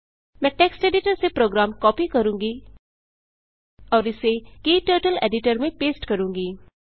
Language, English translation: Hindi, I will copy the program from text editor and paste it into Kturtles Editor